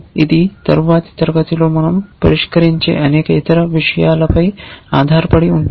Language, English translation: Telugu, It will depend on so many other things which we will address in the next class